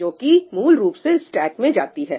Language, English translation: Hindi, That is typically what goes into the stack